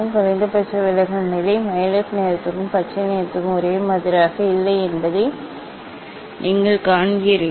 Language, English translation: Tamil, You see the minimum deviation position is not same for violet colour and the green colour